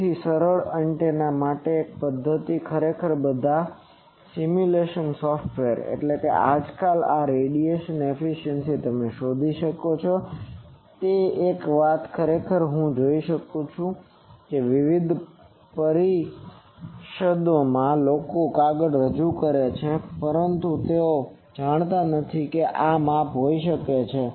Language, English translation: Gujarati, So, for simple antennas there is a method actually all the simulation software nowadays this radiation efficiency you can find out, that is one thing actually I will see that in various conferences people present the paper, but they are unaware that this can be measure